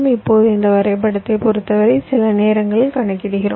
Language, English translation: Tamil, now, with respect to this graph, we then calculate sometimes